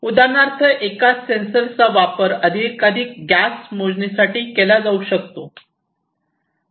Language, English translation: Marathi, So, same sensor can be used to measure multiple gases for example